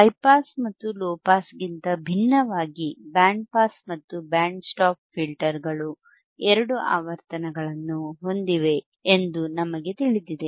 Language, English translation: Kannada, We know that unlike high pass and low pass filters, band pass and band stop filters have two cut off frequencies have two cut off frequency right,